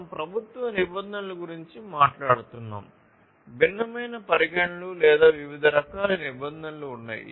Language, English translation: Telugu, So, you know we have if we are talking about government regulations there are different considerations or the different types of regulations